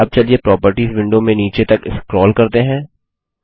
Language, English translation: Hindi, Now let us scroll to the bottom in the Properties window